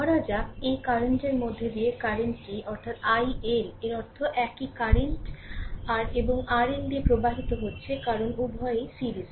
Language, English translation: Bengali, Suppose, current through this current to this is i L right; that means, same current is flowing through R and R L because both are in series